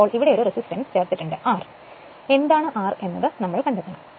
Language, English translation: Malayalam, So, a resistance R had been inserted here, we have to find out, what is the R